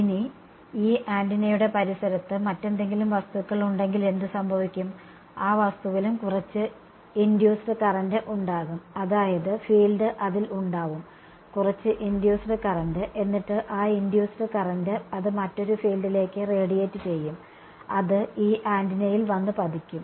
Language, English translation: Malayalam, Now, what happens if there is some other object in the vicinity of this antenna, that object will also have some current induced, I mean the field will fall on it, induce some current that induced current in turn will radiate another field, that field will come and fall on this antenna